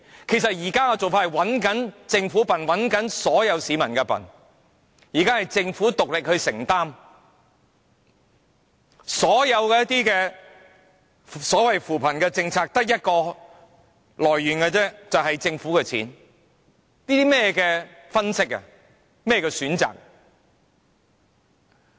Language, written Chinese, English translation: Cantonese, 其實現時的做法是佔政府和所有市民便宜，現時是政府獨力承擔，所有扶貧政策的錢只得一個來源，便是政府的錢，這是甚麼分析和選擇？, In fact the present approach is abusing the Government and the people because all poverty alleviation measures are paid by public money . What kind of an analysis or approach is this?